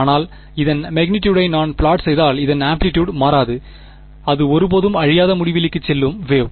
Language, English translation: Tamil, But, if I plot the magnitude of this the amplitude of this is unchanged it is the wave that goes off to infinity it never decays